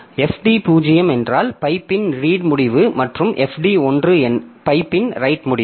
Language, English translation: Tamil, 0 is the read end of the pipe and FD1 is the right end of the pipe